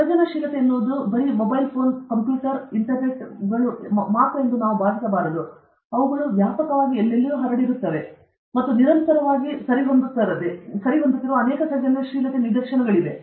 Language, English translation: Kannada, We should not think that creativity means new mobile phone, new computer okay, internet and all these, they are all pervading and many instances of creativity which are constantly going on okay